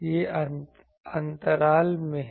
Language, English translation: Hindi, This is at the gap